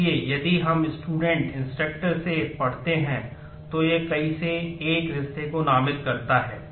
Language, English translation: Hindi, So, if we read from the student instructor, then it is also designates the many to one relationship